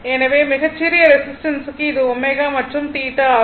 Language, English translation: Tamil, So, for very small resistance this this is your omega and this is theta